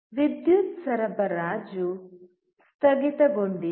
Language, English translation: Kannada, The power supply is off